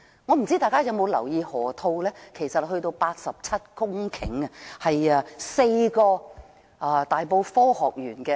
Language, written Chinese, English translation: Cantonese, 不知道大家有否留意河套有87公頃，大小相等於4個大埔科學園。, I wonder if Members have noticed it . The river - loop area is 87 hectares in size which is equivalent to four times the size of the Hong Kong Science Park in Tai Po